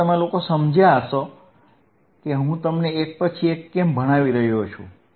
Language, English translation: Gujarati, Now, you guys understand why I am teaching you one by one